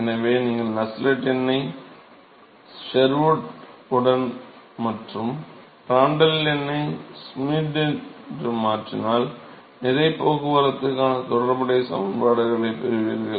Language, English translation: Tamil, So, you replace Nusselt number with Sherwood and Prandtl with Schmidt, you will get the corresponding correlations for mass transport